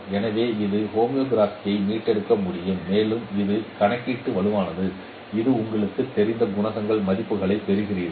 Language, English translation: Tamil, So it can recover the homography and this competition is robust because it can take care of the big values that we will be getting at different coefficients